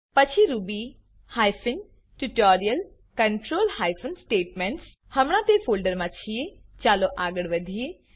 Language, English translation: Gujarati, Then to ruby hyphen tutorial control hyphen statements Now that we are in that folder, lets move ahead